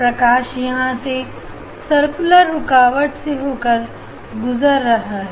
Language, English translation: Hindi, light is coming from this other part of the circular obstacle